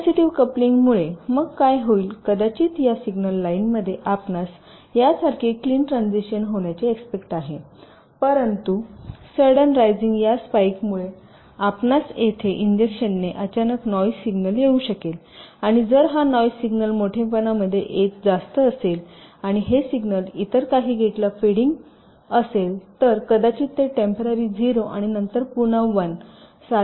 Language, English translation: Marathi, so what might happen is that in this signal line, second one, your expectative, have a clean transition like this, but because of this rising, sudden spike here you can encounter a sudden noise signal injected here like this: and if this noise signal is sufficiently high in amplitude and this signal is feeding some other gate, so it might temporarily recognize it as a zero, and then again one like that, so that might lead to a timing error and some error in calculation